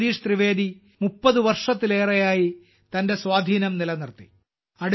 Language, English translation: Malayalam, As a comedian, Bhai Jagdish Trivedi ji has maintained his influence for more than 30 years